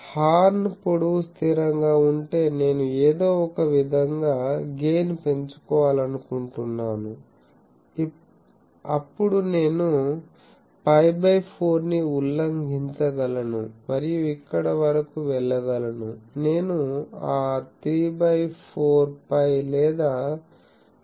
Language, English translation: Telugu, Again people have found that if horn length is fixed, I want to increase gain somehow then I can violate that, pi by 4 thing and go up to here we I cannot go up to that 3 by 4 pi or 0